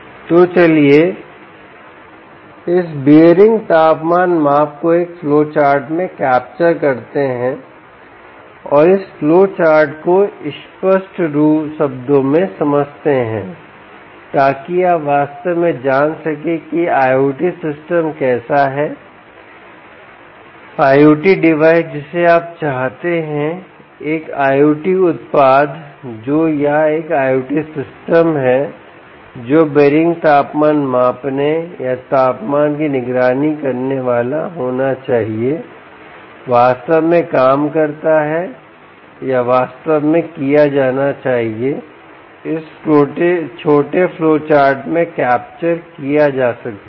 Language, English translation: Hindi, so lets capture this bearing temperature measurement into a flowchart and lets explain this flowchart in clear terms so that you actually know how an i o t system, i o t device that you want to you want to i o t, an i o t product that, or an i o t system that should be doing bearing temperature measuring or monitoring temperature monitoring, actually works or actually should be done, can be captured in this little flowchart